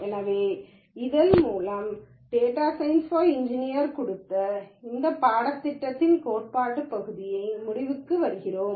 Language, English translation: Tamil, So, with this we come to the conclusion of the theory part of this course on data science for engineers